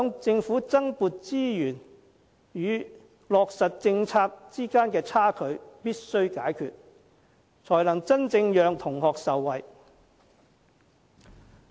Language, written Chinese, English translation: Cantonese, 政府必須解決在增撥資源與落實政策之間的差距，才能真正讓同學受惠。, The Government must bridge the gap between additional resources deployment and policy implementation which will then truly benefit the students